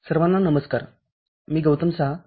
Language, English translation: Marathi, Hello everybody, this is Goutam Saha